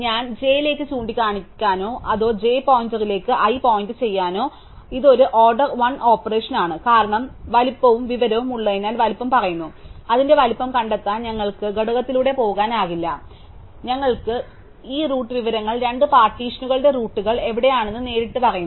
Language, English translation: Malayalam, So, whether to make i point to j or j point to i, so this is an order 1 operation and that is because we have the size information tell us the size, we do not have a go through the component to find it size and we have this root information it directly tells us where the roots of the two partition are